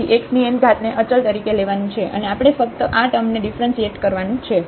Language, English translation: Gujarati, So, x power n will be treated as constant and we have to just differentiate this term